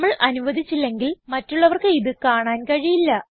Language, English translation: Malayalam, Unless we permit, others cannot see them